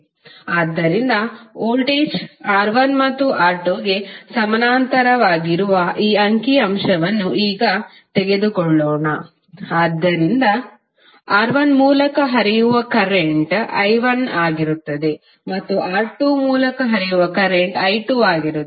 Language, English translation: Kannada, So let us take now this figure where voltage is connected to R1 and R2 both which are in parallel, so current flowing through R1 would be i1 and current flowing through R2 would be i2